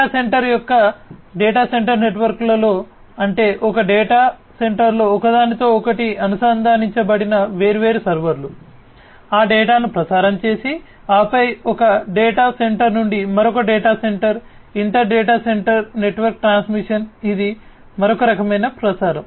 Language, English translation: Telugu, Within a data center network of data center; that means, different servers interconnected with each other in a data center within that the transmission of the data and then from one data center to another data center, inter data center network transmission, that is another type of transmission